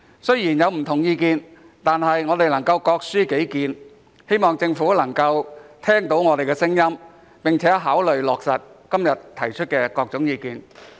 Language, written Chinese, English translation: Cantonese, 雖然大家有不同的意見，但我們都是各抒己見，希望政府能夠聽到我們的聲音，並考慮落實今天提出的各項意見。, Although Members have different viewpoints we hope that our diverse view will be heard by the Government which will then consider implementing the various suggestions put forward today